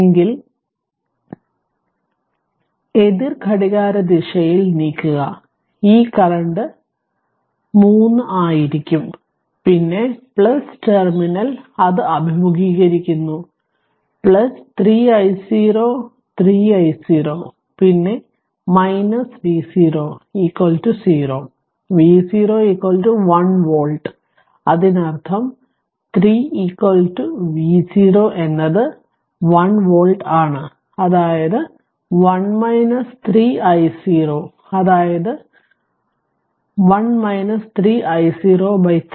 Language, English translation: Malayalam, And if you your what you call move like this, say anticlockwise direction and, this current I take I say, if it is I then it will be 3 i it will be 3 i, then plus terminal it is encountering plus plus 3 i 0 3 i 0, then minus V 0 is equal to 0 and V 0 is equal to 1 volt right; that means, 3 i is equal to V 0 is 1 volt that is 1 minus 3 i 0 right; that means, i is equal to 1 minus 3 i 0 divided by 3 right